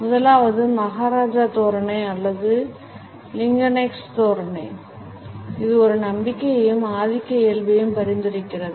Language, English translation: Tamil, The first is the maharaja posture or the Lincolnesque posture which suggest a confidence as well as a dominant nature